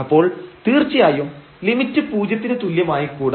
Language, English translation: Malayalam, So, certainly it is the limit cannot be equal to equal to 0